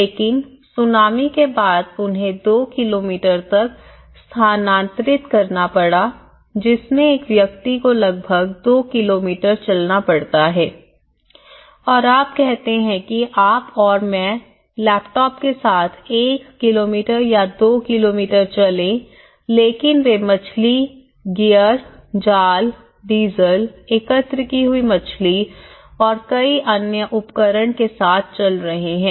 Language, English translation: Hindi, But now, after the tsunami they have to relocate to two kilometres which is almost taking a person has to walk almost 2 kilometres and you say you and me are walking with a laptop or a small with one kilometre or two kilometres but they are walking with a fish gear, net, diesel, the collected fish, any other equipments